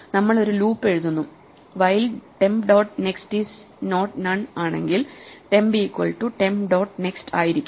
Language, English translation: Malayalam, So, we just write a loop which says while temp dot next is not none just keep going from temp to temp dot next